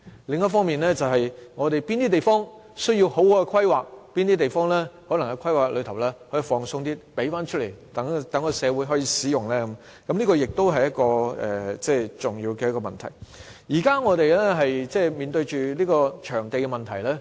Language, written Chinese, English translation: Cantonese, 另一方面，我們有哪些地方需要妥善規劃，哪些地方需要較寬鬆的規劃，以便騰出土地供社會使用，這亦是重要的問題。我們現正面對場地問題。, It is also important for us to identify the areas which will need proper planning and other areas which will require laxer planning so that we can release some land sites for use in society